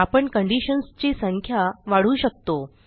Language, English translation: Marathi, We can also increase the number of conditions